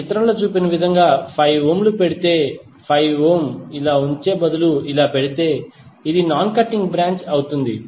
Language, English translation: Telugu, Instead of putting 5 ohm like this if you put 5 ohm as shown in this figure, it will become non cutting branch